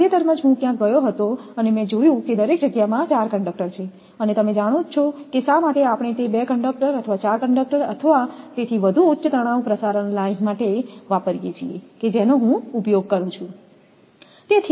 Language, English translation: Gujarati, Recently, I went somewhere, I found that 4 conductors are there in each space and you know why we use that 2 conductors or 4 conductors or even more for high tension transmission line that if I use that; so spacing of conductors